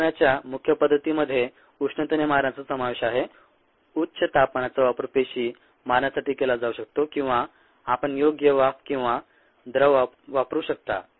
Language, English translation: Marathi, the main modes of killing include ah thermal killing a high temperature can be used to kill cells or could use a appropriate vapours or liquids ah